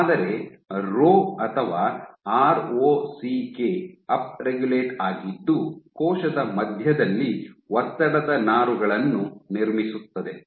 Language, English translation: Kannada, But you have up regulation of Rho or ROCK such that there is stress fibers which are built up in the center of the cell